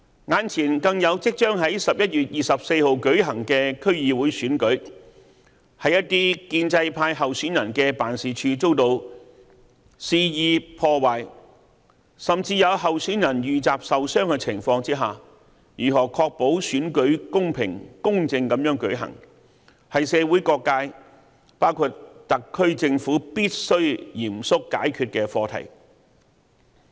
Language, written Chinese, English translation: Cantonese, 眼前更有即將在11月24日舉行的區議會選舉，在一些建制派候選人的辦事處遭到肆意破壞，甚至有候選人遇襲受傷的情況下，如何確保選舉公平、公正地舉行，是社會各界必須嚴肅解決的課題。, What lies ahead is the upcoming 24 November District Council Election . As the offices of some pro - establishment candidates have been blatantly vandalized and some candidates have been injured after being attacked the question of how the election can be held in a fair and just manner is